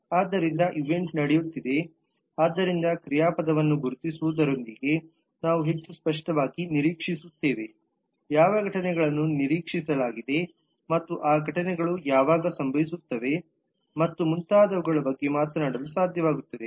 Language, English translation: Kannada, so the event is some happening so we will expect that with the identification of verb we will be more clearly able to talk about what events are expected and when those events will happen and so on